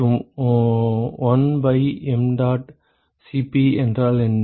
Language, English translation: Tamil, And what is 1 by mdot Cp min